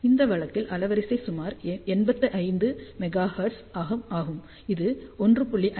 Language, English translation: Tamil, So, bandwidth in this case is about 85 megahertz which is 1